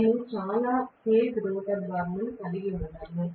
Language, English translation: Telugu, I am not going to have so many cage rotor bars